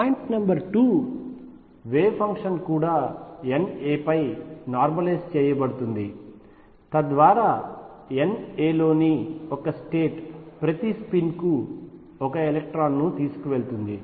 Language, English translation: Telugu, Point number 2 the wave function is also normalized over N a, so that a one state in N a carries exactly one electron for each spin